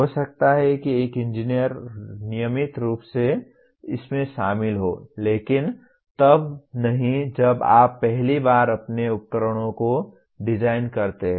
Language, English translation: Hindi, Maybe an engineer routinely incorporates that but not when you first time design your equipment